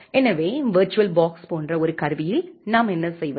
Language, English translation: Tamil, So, in a tool like virtual box what we do